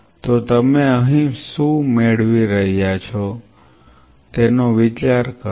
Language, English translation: Gujarati, So, what you are getting here think of it